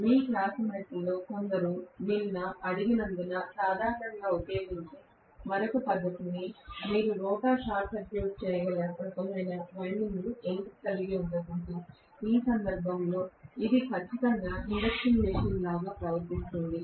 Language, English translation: Telugu, Another method normally that is used because some of your classmates yesterday asked, why cannot you have some kind of winding in the rotor which can be short circuited, in which case it will exactly behave like an induction machine, right